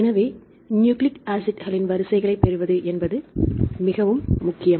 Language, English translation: Tamil, So, it is very important to get the sequences of nucleic acids right